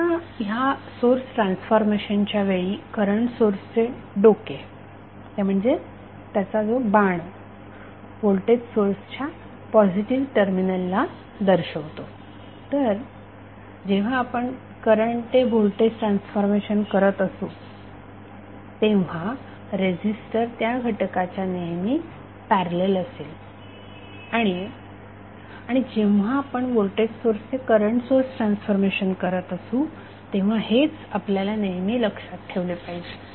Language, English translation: Marathi, Now, in case of source transformation the head of the current source that is the arrow will correspond to the positive terminal of the voltage source, so this is what we have to always keep in mind while we transforming current to voltage source and source transformation of the current source and resistor requires that the two elements should be in parallel and source transformation voltage source is that resistor should be in series with the voltage source